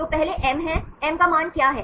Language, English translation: Hindi, So, first one is M, what is the value for M